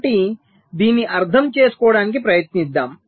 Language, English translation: Telugu, so lets try to understand this